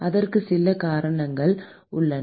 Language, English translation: Tamil, And there are some very good reasons for that